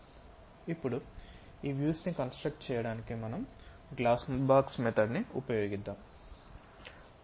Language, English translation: Telugu, This is the way we construct top view using glass box method